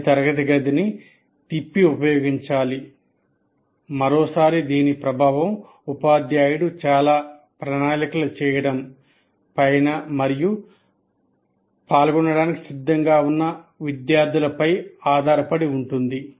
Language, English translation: Telugu, So that is flipped classroom and once again its effectiveness will depend on a first teacher doing a lot of planning and also the fact students willing to participate